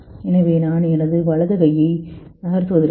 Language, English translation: Tamil, So I will to move my right hand